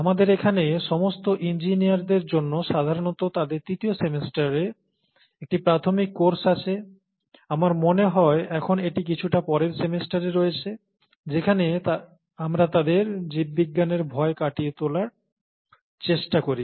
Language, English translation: Bengali, So, we have an introductory course here for all engineers, typically in their third semester, now I think it's in slightly later semesters, where we work on getting them, asking, making them getting over the fear for biology